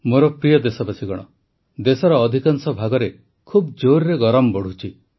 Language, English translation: Odia, My dear countrymen, summer heat is increasing very fast in most parts of the country